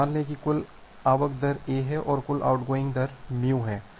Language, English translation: Hindi, So, assume that total incoming rate is lambda and total outgoing rate is mu